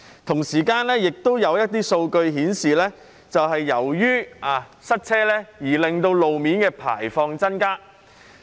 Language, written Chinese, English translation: Cantonese, 同時，亦有一些數據顯示，由於塞車而令路面的排放量增加。, At the same time some data show that road emissions have increased due to traffic congestion